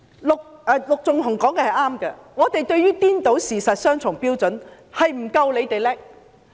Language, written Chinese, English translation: Cantonese, 陸頌雄議員說得對，對於顛倒事實及雙重標準，我們不夠反對派厲害。, Mr LUK Chung - hung was right in saying that we were not as good as the opposition camp in confounding right and wrong and applying double standard